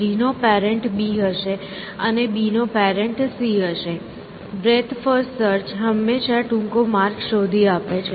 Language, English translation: Gujarati, And the parent of G would be B, and the parent of B would be C, breath first search will always find the shortest path